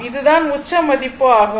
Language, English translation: Tamil, So, now this is the peak value